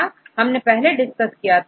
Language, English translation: Hindi, Just we discussed earlier